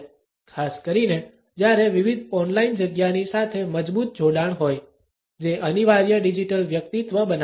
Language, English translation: Gujarati, Particularly, when there is a strong connectivity of different on line sites, which creates an inescapable digital personality